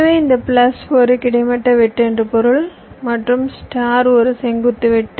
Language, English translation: Tamil, so what i mean is that this plus means a horizontal cut and the star means a vertical cut